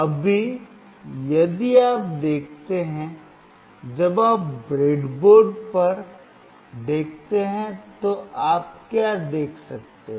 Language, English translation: Hindi, Right now, if you see, when you see on the breadboard, what you can see